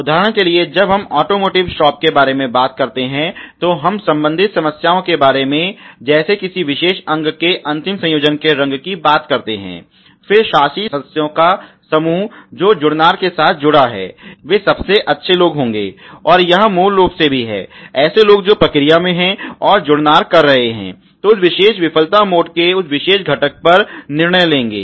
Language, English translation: Hindi, And we are talking about problems related to let’s say the paint of the assembly of the particular components in to the final vehicle, then the group of the governing members who are associated with the fitment would be the best people, and that is basically also the people who are the online and who are doing the fitment ok who would take a decision on that particular component of that particular failure mode ok